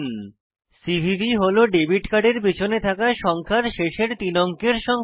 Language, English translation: Bengali, Which is the three digit number last three digits at the back of your card